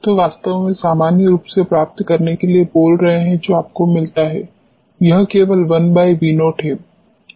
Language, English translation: Hindi, So, truly speaking these to get normalize and what you get is only 1 upon V naught